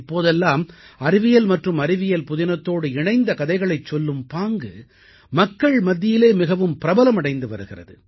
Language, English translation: Tamil, These days, stories and storytelling based on science and science fiction are gaining popularity